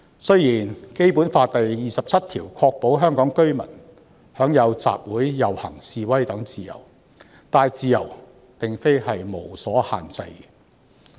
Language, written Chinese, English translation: Cantonese, 雖然《基本法》第二十七條確保香港居民享有集會、遊行、示威等自由，但這些自由並非不受限制。, Although Article 27 of the Basic Law ensures that Hong Kong residents enjoy freedom of assembly procession and demonstration such freedom is not unrestricted